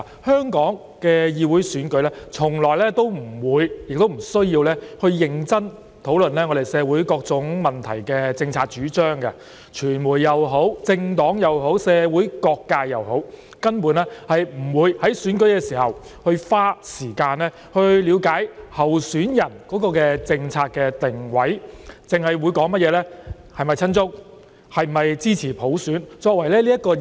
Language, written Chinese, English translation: Cantonese, 香港的議會選舉從來不會亦不需要認真討論我們就社會各種問題的政策主張，無論是傳媒、政黨或社會各界，根本不會在選舉時花時間了解候選人的政策定位，而只是討論其是否親中或支持普選來區分候選人。, In Hong Kongs Legislative Council elections no serious discussions about ones policy propositions on various social issues have been held or are required . No matter the media political parties or all sectors in society they would not care to spend the time in understanding the policy orientations of the candidates during elections . They would differentiate the candidates by judging whether they were pro - China or in support of universal suffrage